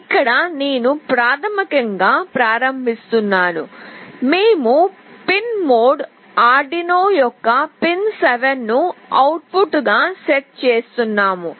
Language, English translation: Telugu, Here I am basically doing the initialization, we are setting pin mode, pin 7 of Arduino as output